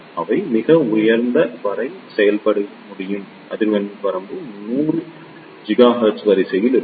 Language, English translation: Tamil, They can operate up to very high frequency range be up to of the order of 100 gigahertz